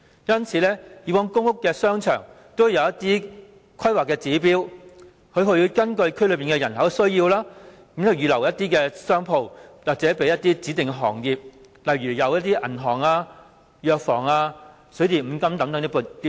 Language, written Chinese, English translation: Cantonese, 因此，以往公屋商場都會有一些規劃指標，根據區內人口的需要，預留一定的商鋪給指定的行業，例如銀行、藥房、水電五金等店鋪。, This is why there used to be some planning standards for shopping arcades in public housing estates whereby a certain proportion of the shops was set aside for specified trades and industries such as banks pharmacies plumbing and electrical services or hardware stores according to the demographic needs in the district